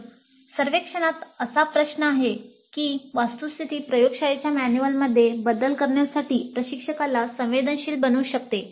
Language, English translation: Marathi, So the very fact that such a question is there in the survey might sensitize the instructor to revising the laboratory manual